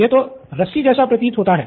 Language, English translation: Hindi, This looks like a rope